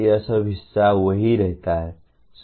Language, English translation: Hindi, All this part remains the same